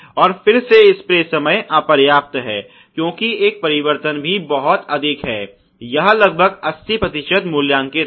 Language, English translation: Hindi, And then again the spray time insufficient, because of a change operator is also is very high it is about rated 80%